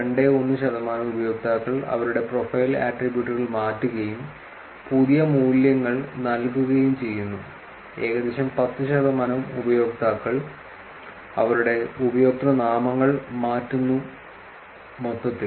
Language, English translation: Malayalam, 21 percent users change their profile attributes, and assign new values, about 10 percent of users changes their usernames in total